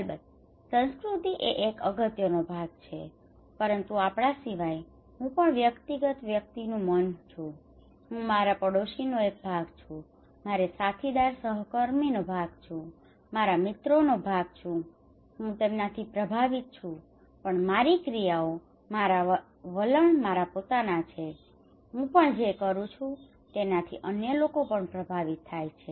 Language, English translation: Gujarati, Of course culture is an important part, but apart from we, also I have a mind of individual, I am part of my neighbour, I am part of my colleague, co workers, I am part of my friends, I am influenced by them but my actions my attitudes are my own I am also influenced by others what I do okay